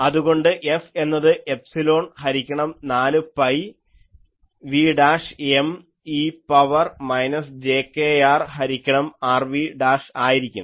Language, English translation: Malayalam, So, F will be epsilon by 4 pi v dashed M e to the power minus jkr by R dv dash